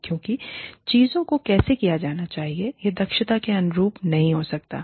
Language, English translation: Hindi, Because, how things should be done, may not be in line with the efficiency